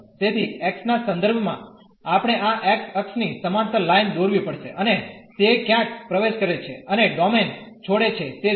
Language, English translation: Gujarati, So, for with respect to x we have to draw the line parallel to this x axis, and see where it enters and leave the domain